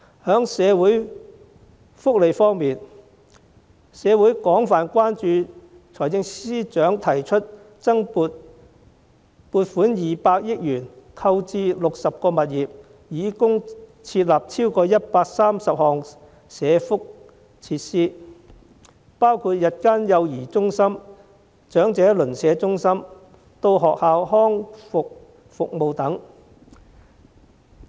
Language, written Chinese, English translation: Cantonese, 在社會福利方面，社會廣泛關注財政司司長提出撥款200億元，購置60個物業，以供設立超過130項社福設施，包括日間幼兒中心、長者鄰舍中心、到校學前康復服務等。, In respect of social welfare there has been widespread concern in the community about the Financial Secretarys proposal to allocate 20 billion for the purchase of 60 properties for accommodating more than 130 welfare facilities including day childcare centres neighbourhood elderly centres and on - site pre - school rehabilitation services